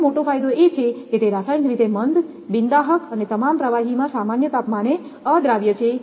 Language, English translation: Gujarati, This is the major advantage is that it is chemically inert, non inflammable and insoluble at ordinary temperature in all liquid